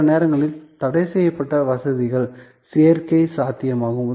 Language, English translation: Tamil, Sometimes, there are admission possible to restricted facilities